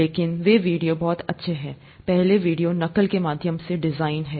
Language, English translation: Hindi, But they are very good videos, the first one is design through mimicry